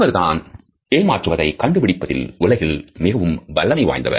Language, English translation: Tamil, He is the world's foremost authority in deception detection